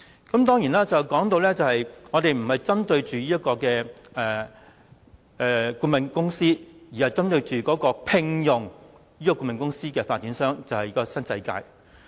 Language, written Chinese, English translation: Cantonese, 正如我剛才說，議案不是針對顧問公司，而是針對聘用這間顧問公司的發展商，即新世界。, As I said just now the motion pinpoints the developer NWD which commissioned the consultancy rather than the firm itself